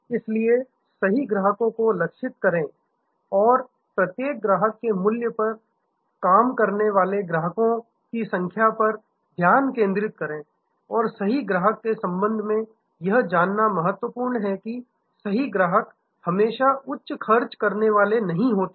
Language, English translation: Hindi, So, target the right customers and focus on number of customers served in value of each customer and this right customer is important to know that the right customers are not always the high spenders